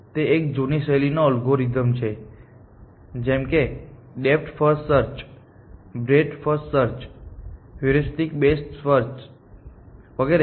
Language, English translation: Gujarati, This is a old style algorithm that we wrote depth first search, breath first search, heuristic best first search and so on